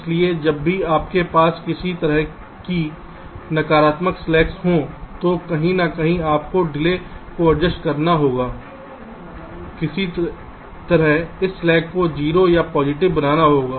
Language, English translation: Hindi, so whenever you have some kind of negative slacks somewhere, you have to adjust the delays somehow to make this slack either zero or positive